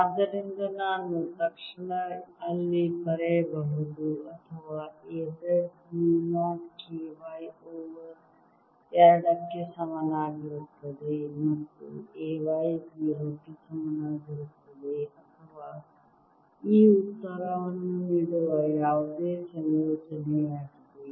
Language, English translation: Kannada, so i can immediately write there: either a z is equal to mu, not k, y over two, and a y is equal to zero, or any other combination that gives me thois answer